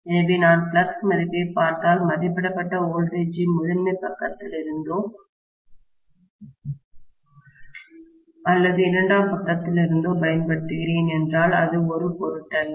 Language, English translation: Tamil, So, if I look at the flux value, if I am applying rated voltage, whether it is from the primary side or secondary side, it does not matter